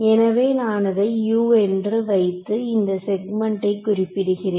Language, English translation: Tamil, So, I will call this over here U so, I am referring to this segment or this segment right